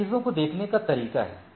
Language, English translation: Hindi, So, this is the way of looking at the things